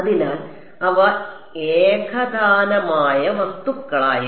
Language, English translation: Malayalam, So, they were for homogeneous objects